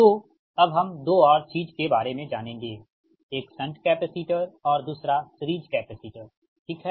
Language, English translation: Hindi, so next is we will come to another two thing, that is that shunt capacitors and series capacitors, right